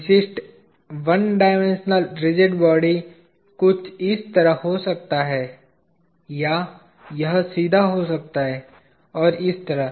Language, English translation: Hindi, A typical three dimensional rigid body is like this; like solid like